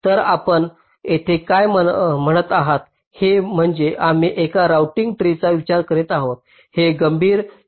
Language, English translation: Marathi, so here what you are saying is that we are considering a routing tree that does not consider critical sink information